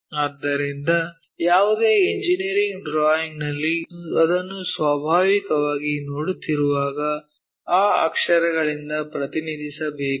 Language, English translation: Kannada, So, when we are looking at that naturally in any engineering drawing we have to represent by that letters